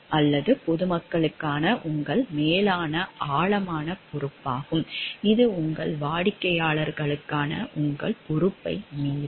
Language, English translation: Tamil, Or it is your further deeper responsibility towards the public at large which will override your responsibility towards your client